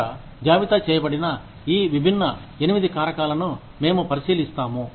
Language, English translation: Telugu, We look at these, different 8 factors, that have been listed here